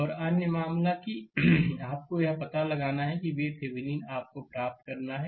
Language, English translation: Hindi, And other case, that you have to find out that this V Thevenin you have to obtain